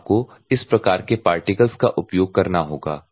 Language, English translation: Hindi, You have to use this type of particles